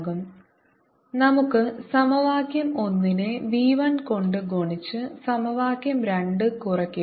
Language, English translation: Malayalam, let us multiply equation one by v one and subtract equation two